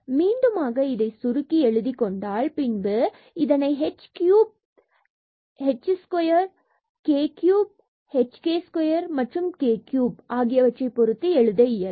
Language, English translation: Tamil, So, treating them equal we have these terms and again we have written for simplicity because this is like a cubic term in terms of h cubed 3 h square k 3 h k square and k is cube